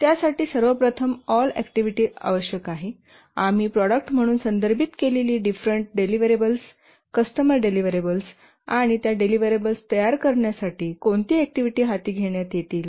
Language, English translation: Marathi, For that we need to first identify all the activities, the different deliverables which we refer to as products, the different deliverables to the customer, and what are the activities to be undertaken to produce those deliverables